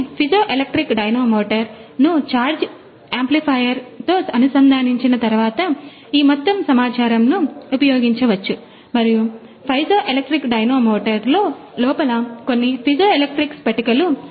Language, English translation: Telugu, So, this whole data can be used after welding piezoelectric dynamometer has been connected with a charge amplifier and this inside the piezoelectric dynamometer few piezoelectric crystals are there